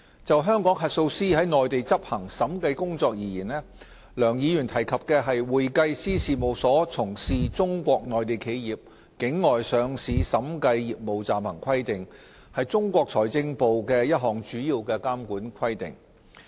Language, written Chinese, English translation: Cantonese, 就香港核數師在內地執行審計工作而言，梁議員提及的《會計師事務所從事中國內地企業境外上市審計業務暫行規定》是中國財政部的一項主要監管規定。, The Interim Provisions on Accounting Firms Provision of Auditing Services for the Overseas Listing of Enterprises in Mainland China as mentioned by Mr LEUNG is one of the principal regulatory requirements promulgated by the Ministry of Finance MoF to govern Hong Kong auditors in carrying out auditing work in the Mainland